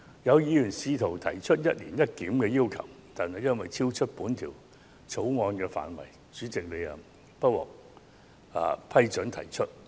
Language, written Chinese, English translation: Cantonese, 有議員甚至提出"一年一檢"的要求，但最終因為超出《條例草案》的範圍，因此不獲主席批准提出。, In fact a Member had even gone so far as to request a review once every year but eventually such a proposed CSA was ruled inadmissible by the President for being outside the scope of the Bill